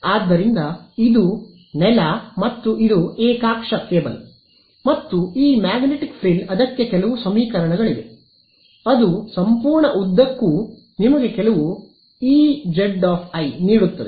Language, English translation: Kannada, So, this is ground and this is coax cable and this magnetic frill there are some equations for it which give you some E i z over the entire length ok